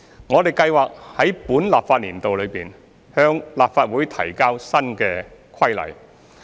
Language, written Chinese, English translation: Cantonese, 我們計劃在本立法年度內，向立法會提交新規例。, We plan to introduce the new regulation into the Legislative Council within this legislative session